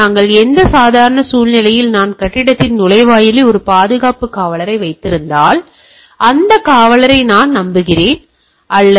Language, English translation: Tamil, So, say in our normal thing if I am having a security guard at the entrance of the building, I trust that guard, alright